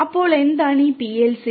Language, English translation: Malayalam, So, what is this PLC